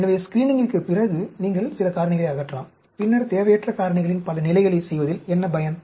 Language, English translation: Tamil, So, in during, after screening, you may eliminate some factors; then, what is the point in doing too many levels of unwanted factors